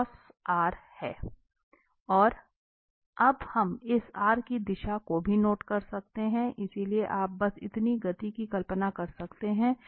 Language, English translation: Hindi, And now what we also note down that the direction of this v, so, you can just visualize this motion